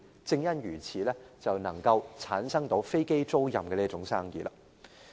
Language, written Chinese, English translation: Cantonese, 正因如此，便產生了飛機租賃這門生意。, This therefore leads to the emergence of aircraft leasing business